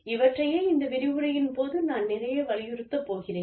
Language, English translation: Tamil, We will talk about it, a little bit, in this lecture